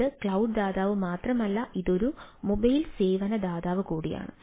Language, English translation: Malayalam, it is not only the cloud provider, it is a mobile service provider also